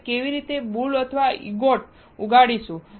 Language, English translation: Gujarati, How will we grow the boule or ingot